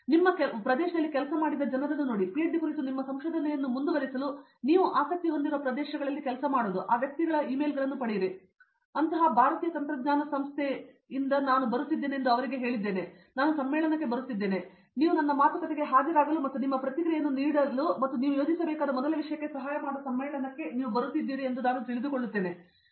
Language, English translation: Kannada, See people who are working in your area and working in the areas which you are interested to pursue your research on PhD, get the emails of those persons and mail them saying I am so and so from Indian Institute of Technology, I saw you or, I came to know, I get to know that you are coming to the conference I am also coming to the conference, please attend my talk and give your feedback and that might help the first thing you need to plan